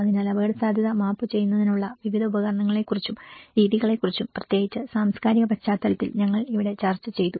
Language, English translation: Malayalam, So here we did discussed about various tools and methods of mapping the vulnerability and especially, in cultural context